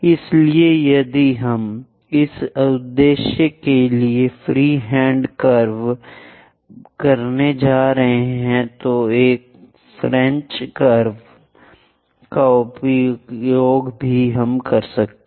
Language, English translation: Hindi, So, if we are going to have a free hand curve for this purpose, one can use French curves also